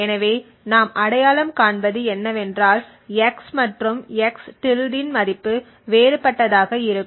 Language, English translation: Tamil, So, what we identify is that the value of x and x~ is going to be different